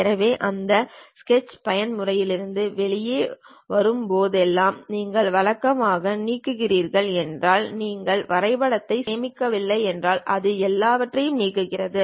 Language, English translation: Tamil, So, whenever you are coming out of sketch mode if you are deleting usually if you are not saving the drawing it deletes everything